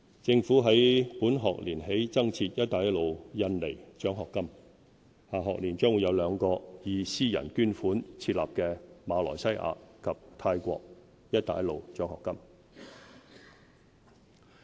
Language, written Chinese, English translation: Cantonese, 政府於本學年起增設"一帶一路印尼獎學金"，下學年將會有兩個以私人捐款設立的馬來西亞及泰國"一帶一路"獎學金。, In the next academic year there will be two Belt and Road scholarships funded by private donations for students from Malaysia and Thailand